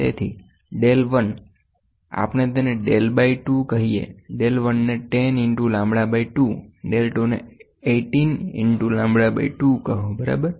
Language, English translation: Gujarati, Therefore, del 1 so, we can make it as del by 2, del 1 equal to 10 into lambda by 2, del 2 is equal to 18 into lambda by 2, ok